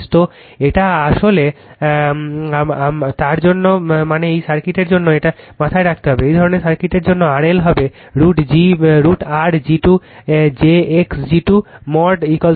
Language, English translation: Bengali, So, this is actually for that means that means for this circuit you have to keep it in mind, for this kind of circuit R L will be your root over R g square plus j x g square is equal to mod g right